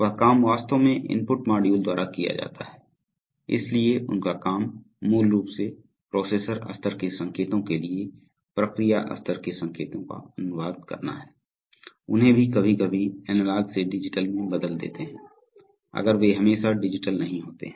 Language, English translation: Hindi, So that job is actually done by the input modules, so their job is to basically translate process level signals to processor level signals, also convert them from analog to digital sometimes, if they are not always digital